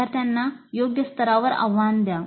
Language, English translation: Marathi, So challenge the students at the right level